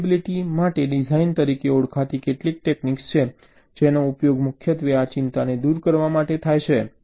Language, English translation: Gujarati, there are some techniques, called design for testability, which is used, primary, to address this concern